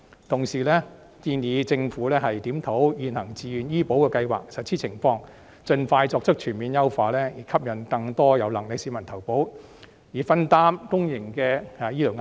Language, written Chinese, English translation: Cantonese, 同時，我們亦建議政府檢討現行自願醫保計劃的實施情況，盡快全面優化，吸引更多有能力的市民投保，分擔公營醫療壓力。, At the same time we also advise the Government to review the implementation of the existing Voluntary Health Insurance Scheme so as to enhance the scheme on all fronts expeditiously attract more people with the means to join the scheme and alleviate the pressure on public hospitals